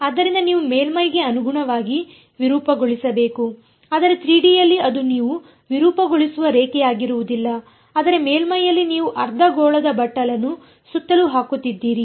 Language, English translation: Kannada, So, you have to deform the surface correspondingly, but in 3D it will not be a line that you are deforming its a surface that you are putting a hemispherical bowl around